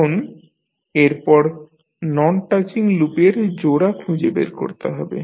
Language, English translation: Bengali, Now, next is you need to find out the pairs of non touching loop